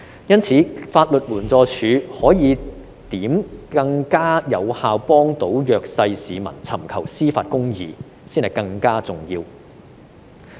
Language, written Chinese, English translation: Cantonese, 因此，法律援助署如何可以更加有效地幫助弱勢市民尋求司法公義，才是更加重要的問題。, For that reason the question of how the Legal Aid Department can render more effective assistance to the underprivileged in seeking justice is even more important